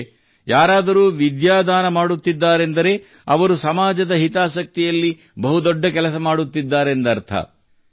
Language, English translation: Kannada, That is, if someone is donating knowledge, then he is doing the noblest work in the interest of the society